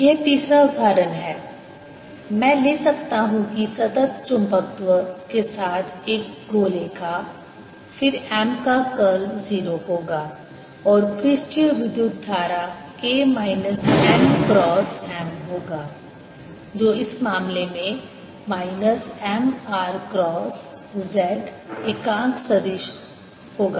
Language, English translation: Hindi, then again, curl of m will be zero and the surface current k will be minus n cross m, which in this case will be minus m r cross z